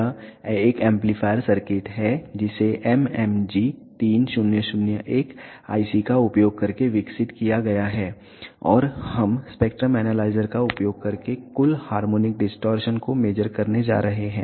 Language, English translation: Hindi, This is an amplifier circuit developed using mmg 3001 IC and we are going to measure the total harmonic distortion using spectrum analyzer